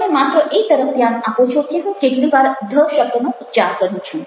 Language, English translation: Gujarati, you are only focusing on how many times i utter the word the